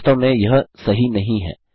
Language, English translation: Hindi, This isnt actually right